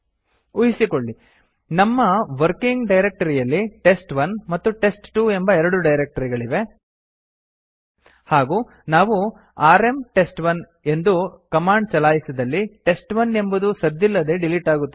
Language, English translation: Kannada, Suppose we have two files, test1 and test2 in our present working directory and if we fire rm test1, test1 is silently deleted